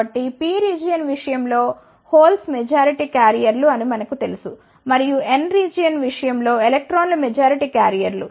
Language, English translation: Telugu, So, we know in case of P regions holes are the majority carriers, and in case of N region the electrons are the majority carriers